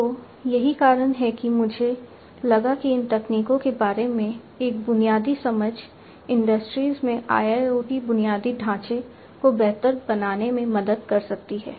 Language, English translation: Hindi, So, that is the reason why I thought that a basic understanding about these technologies can help in improving the IIoT infrastructure in the industries